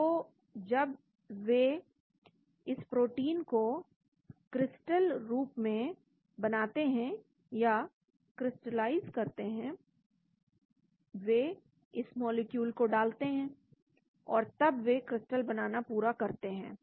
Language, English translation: Hindi, so when they crystallize this protein they put in this molecule and then they perform a crystallization